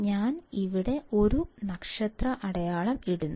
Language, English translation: Malayalam, So, I will put a star here